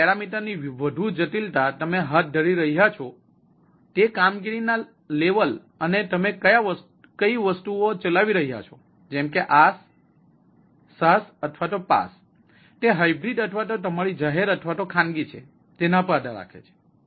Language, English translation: Gujarati, now, more the complexity of this parameter depends on which level of operations you are doing and where you are running the things like is a ias, space or sas, or whether it is a hybrid, or your public or private